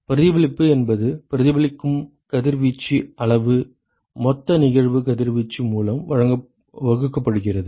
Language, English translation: Tamil, Reflectivity is the amount of radiation which is reflected, divided by the total incident irradiation right